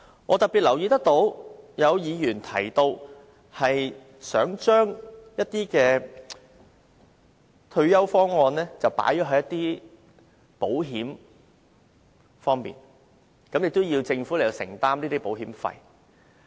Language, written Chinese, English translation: Cantonese, 我特別留意到曾有議員提到，想將一些退休方案納入保險計劃內，並要求政府承擔保險費。, In particular I noticed that some Member proposed the incorporation of some retirement plans into insurance policies and requested the Government to foot the premiums